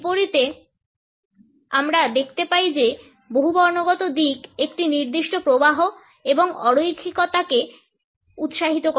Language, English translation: Bengali, In contrast we find that polychronic orientation encourages a certain flux and non linearity